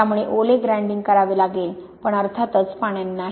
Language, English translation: Marathi, So you have to do wet grinding but of course not with water